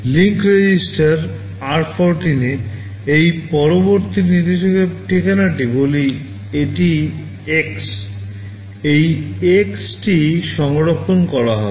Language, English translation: Bengali, In the link register r14, this next instruction address let us say this is X, this X will get stored